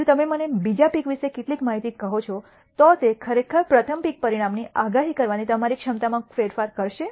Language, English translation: Gujarati, If you tell me some information about the second pick would it actually change your ability to predict the outcome of the first pick